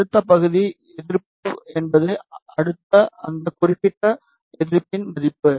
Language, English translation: Tamil, And the next part is the resistance, the next is the value of that particular resistance